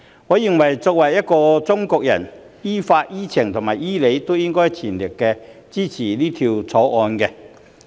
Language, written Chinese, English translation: Cantonese, 我認為作為一個中國人，於法、於情、於理均應全力支持《條例草案》。, I believe that as a Chinese it is lawful sensible and reasonable for us to fully support the Bill